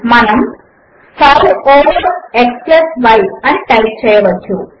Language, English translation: Telugu, We can type 5 over x + y